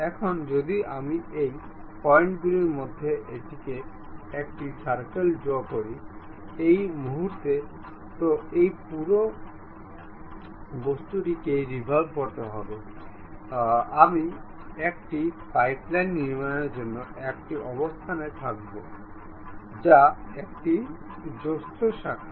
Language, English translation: Bengali, Now, if I am drawing a circle at one of the points, either at this point or at this point and revolve this entire object; I will be in a position to construct a pipeline, which is a branch joint